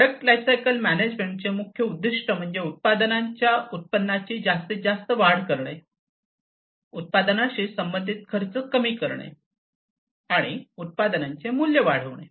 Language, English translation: Marathi, So, the main goal of product lifecycle management is to maximize the product revenues, to decrease the product associated costs, and to increase the products value